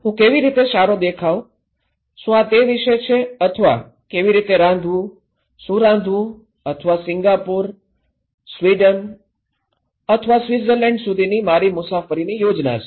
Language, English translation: Gujarati, How I would look good, is it about that one or is it about how to cook, what to cook and or my travel plan to Singapore or to Sweden or Switzerland